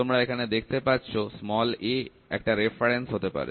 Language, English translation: Bengali, So, you can see a can be a reference